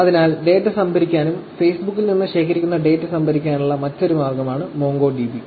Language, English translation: Malayalam, So, MongoDB is another way by which the data is stored and the data that is collected from Facebook is actually stored